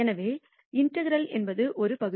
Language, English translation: Tamil, So, the integral is an area